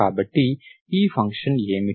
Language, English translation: Telugu, So this is what is your function